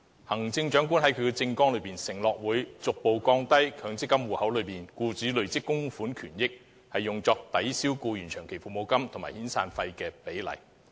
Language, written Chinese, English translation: Cantonese, 行政長官在政綱中承諾會"逐步降低強積金戶口內僱主累積供款權益用作抵銷僱員長期服務金及遣散費的比例"。, The Chief Executive has in his manifesto undertaken that he will adopt measures to progressively reduce the proportion of accrued benefits attributed to employers contribution in the MPF account that can be applied by the employer to offset long - service or severance payments